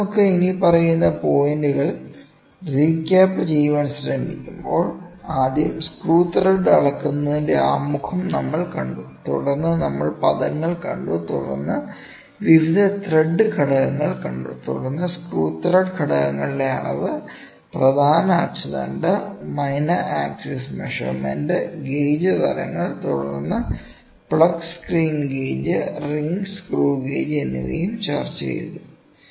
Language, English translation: Malayalam, So, when we try to recap we have the following points, we first saw the introduction of measuring screw thread, then we saw terminologies, then we saw various thread elements, then measurement of screw thread elements, major axis minor axis measurement, type of gauges, then plug screw gauge and ring screw gauge